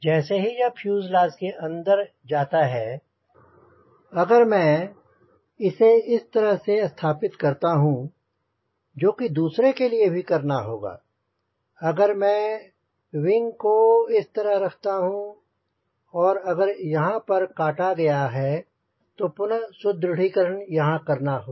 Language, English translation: Hindi, the moment it goes inside the fuselage, if i install it like this, which we will be doing for other, if i put the wing like this and if there is a cutout here is a cutout here right, then again you have to do the enforcement here, enforcement here